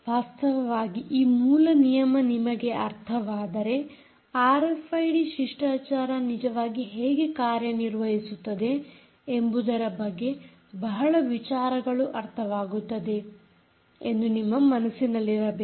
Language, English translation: Kannada, thats indeed, if you understand this basic rule, you will understand many things about the way r f i d protocol actually works